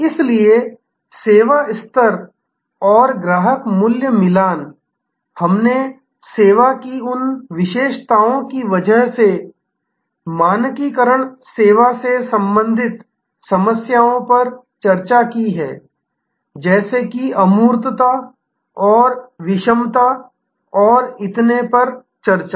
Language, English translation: Hindi, So, service level and customer value matching, we have discussed the problems relating to standardizing service due to those characteristics of service like the intangibility and heterogeneity and so on